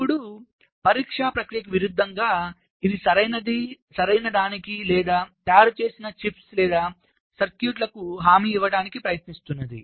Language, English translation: Telugu, now, in contrast, the process of testing, ah, it tries to guarantee the correctness or the manufactured chips or circuits